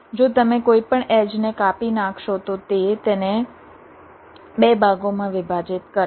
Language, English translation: Gujarati, if you cut any edge, it will divide that it up into two parts